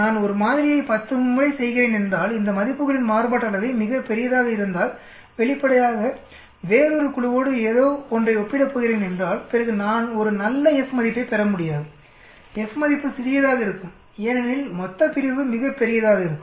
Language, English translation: Tamil, If am doing a sample 10 times, if the variance of these readings are very large, obviously if am going to compare with something else with another group then I will not be able to get a good F value, F value will be small because denominator will be very large